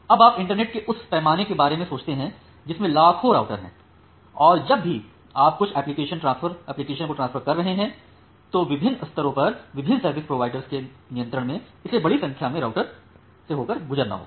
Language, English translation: Hindi, Now you think of the scale of the internet you have millions of routers and whenever you are transferring certain application then it need to pass a large number of routers there under the control of different service providers at different levels